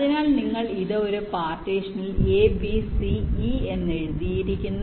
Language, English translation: Malayalam, so you have written this: a, b, c, e in one partition